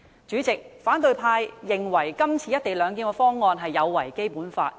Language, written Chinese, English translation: Cantonese, 主席，反對派認為今次的"一地兩檢"方案有違《基本法》。, President the opposition camp considers that the proposed co - location arrangement is in contravention of the Basic Law